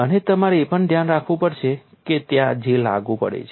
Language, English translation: Gujarati, And you also keep in mind where J is applicable